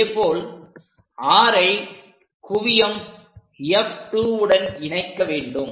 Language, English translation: Tamil, Similarly, join this R with focus F 2